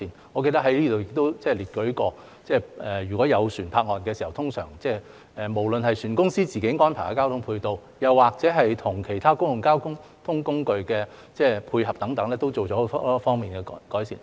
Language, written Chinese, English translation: Cantonese, 我記得在這裏亦列舉過，如果有船泊岸時，無論是船公司自行安排的交通配套，又或與其他公共交通工具的配合等都作了很多方面的改善。, As far as I remember I have also mentioned here that improvements have been made in many aspects both in terms of the ancillary transport facilities arranged by the shipping companies themselves and in terms of the coordination with other public transport modes when ships are at berth